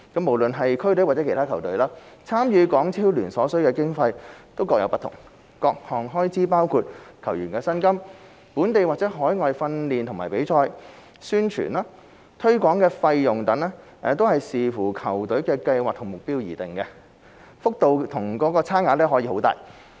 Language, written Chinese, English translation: Cantonese, 無論是區隊或其他球隊，參與港超聯所需的經費各有不同，各項開支包括球員薪金、本地或海外訓練及比賽、宣傳及推廣費用等均視乎球隊的計劃和目標而定，幅度和差距可以很大。, Irrespective of whether it is a district team or not the costs of competing in HKPL vary from one team to another . Depending on the teams planning and targets the various cost items such as players salaries local and overseas training and competitions as well as promotion and marketing costs can vary significantly